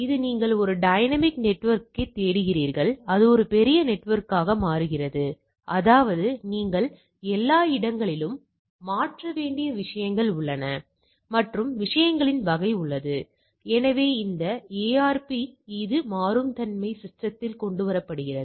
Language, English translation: Tamil, It is a you are looking for a dynamic network and it becomes a huge network, there means there is a change you need to change everywhere and type of things, so this ARP this dynamicity are brought in into the system